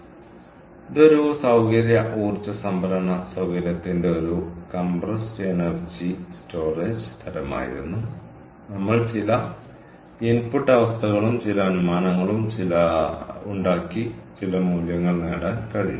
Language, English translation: Malayalam, so, this was a compressed air energy storage type of a facility, energy storage facility, and we even some input conditions and some assumptions and making some assumptions, we are able to get some values